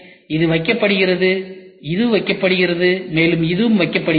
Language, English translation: Tamil, So, this is placed this is placed, this is placed